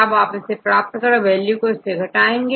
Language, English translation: Hindi, So, to get the, subtract the values